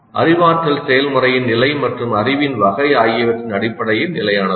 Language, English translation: Tamil, Consistent both in terms of the level of cognitive process as well as the category of the knowledge